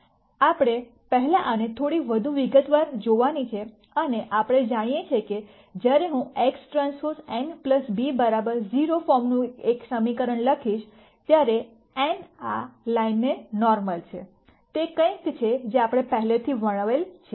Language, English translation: Gujarati, We are going to first look at this in little more detail and we know that when I write an equation of the form X transpose n plus b equal to 0, n is normal to this line, is something that we have already described